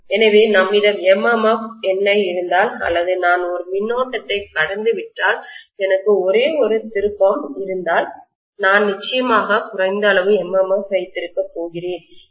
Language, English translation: Tamil, So if we have an MMF of NI or if I pass a current of I, if I have only one turn, then I am going to definitely have less amount of MMF